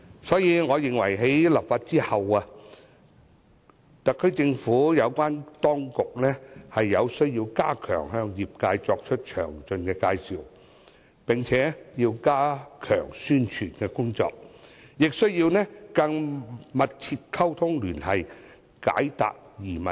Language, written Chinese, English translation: Cantonese, 所以，我認為在立法後，特區政府有關部門須向業界作出詳細介紹，並且加強宣傳工作，也需要與業界緊密溝通聯繫，為業界解答疑問。, For this reason the relevant government departments must brief the industries in detail after enacting the legislation and strengthen publicity . Moreover the authorities need to communicate and liaise closely with the industries so as to answer their queries